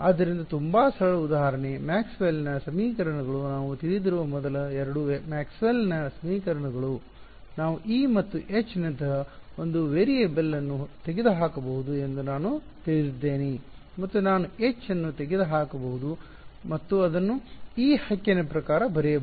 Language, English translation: Kannada, So very simple example, Maxwell’s equations the first two Maxwell’s equations we know we can eliminate one variable like E and H I can eliminate H and just write it in terms of E right